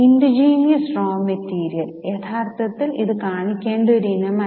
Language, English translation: Malayalam, Indigenous raw material, actually this is not an item to be shown